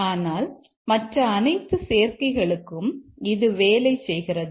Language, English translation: Tamil, But for all other combinations it works